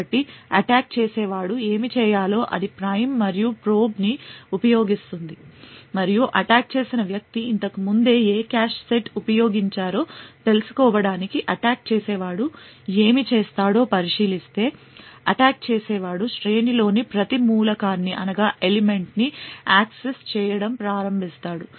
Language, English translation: Telugu, So in order to do this what the attacker would do is it would use something like the prime and probe what the attacker would do in order to find out which cache set was actually used previously, the attacker would start to access every element in the array